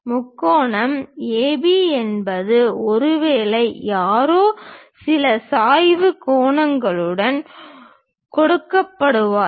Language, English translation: Tamil, The triangle is AB perhaps someone is given with certain inclination angles